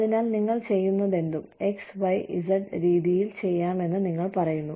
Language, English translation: Malayalam, So, you say that, whatever you are doing, can be done in X, Y, Z way